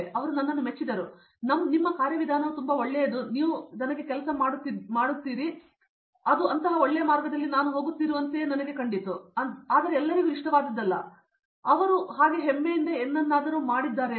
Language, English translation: Kannada, He appreciated me, your way of approach is very good you keep on working me, that makes me something like I am going in a good path like that, but everyone something like that is not good like that, but after he is make something feel proudly like that